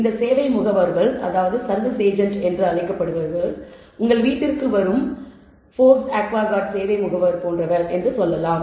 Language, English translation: Tamil, These service agents, let us say it is like Forbes aquaguard service agent that comes to your house